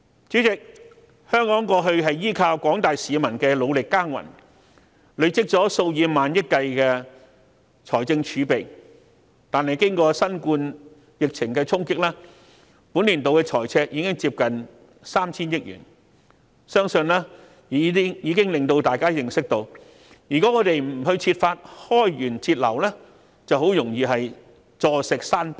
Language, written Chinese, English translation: Cantonese, 主席，香港過去依靠廣大市民努力耕耘，累積了數以萬億計的財政儲備，但經過新冠肺炎疫情的衝擊，本年度財政赤字已接近 3,000 億元，我相信已能讓大家知悉，如果我們不設法開源節流，便很容易"坐食山崩"。, President Hong Kong has accumulated several hundred billions of fiscal reserves through the hard work of its people . However since being hit by the novel coronavirus outbreak this years fiscal deficit has risen to nearly 300 billion . I am sure we are all aware that unless we explore ways to cut cost and increase income our reserves can easily be depleted